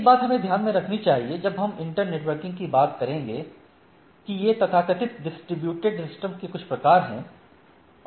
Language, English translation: Hindi, One thing we should keep in mind in when we will talk about internetworking these are some sort of a, so called distributed system